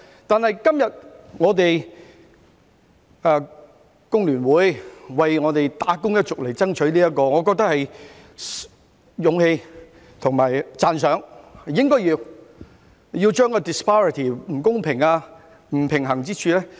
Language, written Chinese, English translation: Cantonese, 今天工聯會為"打工一族"爭取假期，我認為有勇氣和值得讚賞，應該要妥善處理不公平、不平衡之處。, Today FTU is fighting for holidays for the wage earners which I think is courageous and worthy of appreciation because unfairness and imbalance should be properly dealt with